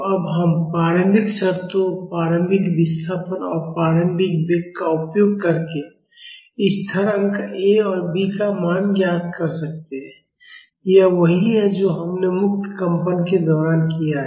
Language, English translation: Hindi, So, now, we can find out the value of the constants A and B, by using the initial conditions; initial displacement and the initial velocity, this is similar to what we have done during free vibration